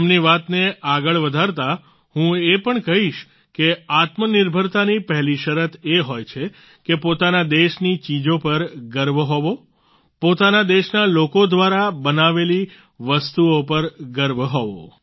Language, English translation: Gujarati, Furthering what he has said, I too would say that the first condition for selfreliance is to have pride in the things of one's own country; to take pride in the things made by people of one's own country